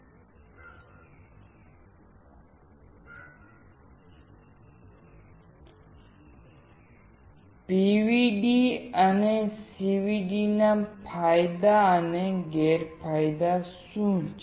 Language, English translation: Gujarati, What are the advantages and disadvantages of CVD over PVD